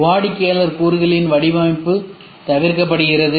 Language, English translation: Tamil, Design of customer engineer component is avoided